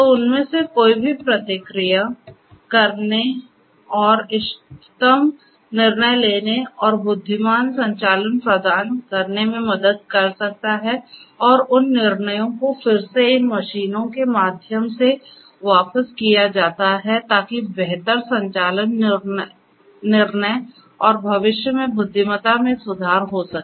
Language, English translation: Hindi, So, any of them could help further to feedback and provide optimal decision making and intelligent operations and those decisions are again fed back through these machines for improved operations improved decision making and further intelligence and so on